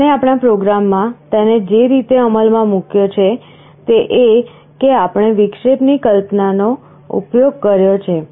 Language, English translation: Gujarati, The way we have implemented it in our program is that we have used the concept of interrupt